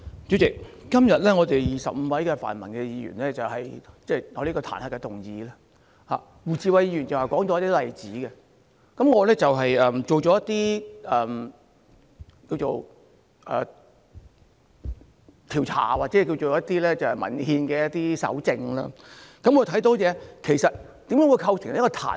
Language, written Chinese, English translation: Cantonese, 主席，今天我們25位泛民議員提出這項彈劾議案，胡志偉議員剛才列舉了一些例子，而我也做了一些調查或一些文獻上的蒐證，看看有何因素會構成彈劾。, President the 25 pan - democratic Members of us have proposed this impeachment motion today . Mr WU Chi - wai cited some examples earlier and I have done some researches or collated some documentary records in order to find out the elements for initiating an impeachment process